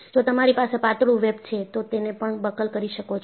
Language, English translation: Gujarati, If you have a thin web, it can buckle also